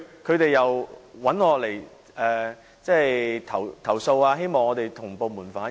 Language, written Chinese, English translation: Cantonese, 他們向我們投訴，希望我們向部門反映。, They complained to us in the hope that we could relay their views to the government departments